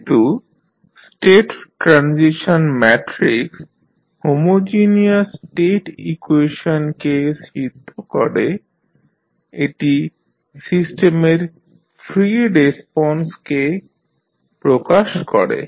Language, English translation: Bengali, As the state transition matrix satisfies the homogeneous state equation it represent the free response of the system